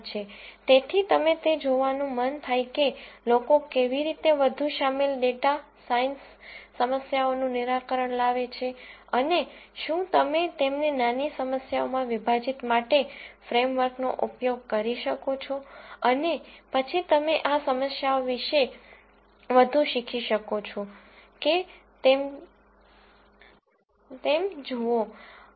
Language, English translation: Gujarati, So, you might want to look at how people solve more involved data science problems and whether you can use the framework to break them down into smaller problems and then see whether you can learn more about these problems